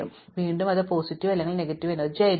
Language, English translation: Malayalam, So, again it could be positive or negative, right